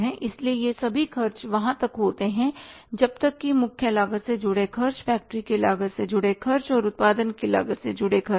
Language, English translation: Hindi, So these all expenses up till this are expenses related to the prime cost, expenses related to the factory cost and expenses related to the cost of production